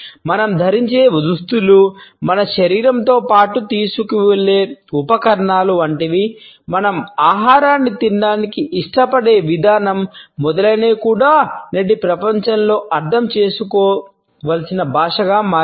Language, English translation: Telugu, Like our dress like the smells we wear, like the accessories we carry along with our body, the way we prefer our food to be eaten etcetera also has become a language which is important to understand in today’s world